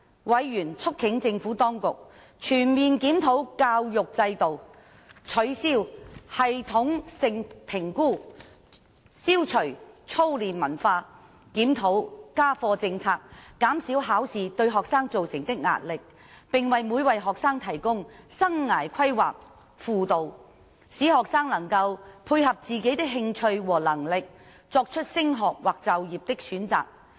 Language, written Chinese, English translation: Cantonese, 委員促請政府當局全面檢討教育制度、取消系統性評估、消除操練文化、檢討家課政策、減少考試對學生造成的壓力，並為每位學生提供生涯規劃輔導，使學生能夠配合自己的興趣和能力，作出升學或就業的選擇。, Members urged the Administration to comprehensively review the education system abolish TSA eliminate the drilling culture review the homework policy alleviate the pressure of examination on students and provide individual guidance on career and life planning for all students to facilitate better study or career choice - making based on their interests and abilities